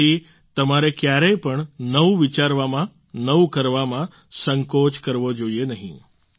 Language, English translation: Gujarati, That is why you should never hesitate in thinking new, doing new